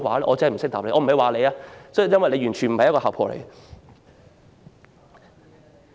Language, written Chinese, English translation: Cantonese, 我不是說你，因為你完全不是姣婆。, I am not talking about you because you are not a promiscuous woman at all